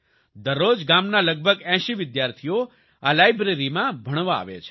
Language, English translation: Gujarati, Everyday about 80 students of the village come to study in this library